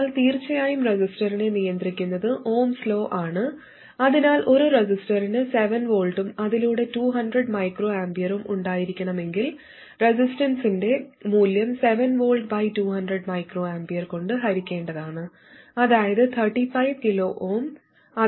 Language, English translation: Malayalam, So if a resistor has to have 7 volts across it and 200 microampers through it, the value of the resistance has to be 7 volts divided by 200 microamperes which is 35 kilo oom